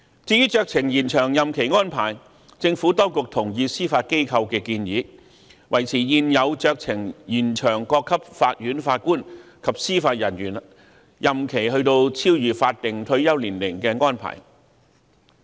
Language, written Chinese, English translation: Cantonese, 至於酌情延長任期安排，政府當局同意司法機構的建議，即維持現有酌情延長各級法院法官及司法人員任期超越法定退休年齡的安排。, As regard discretionary extension arrangements the Administration agrees to the Judiciarys recommendation ie . to maintain the existing discretionary extension arrangements beyond the statutory retirement ages for JJOs at all levels of court